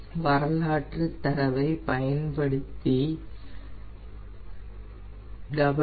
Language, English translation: Tamil, so first we will use the historical data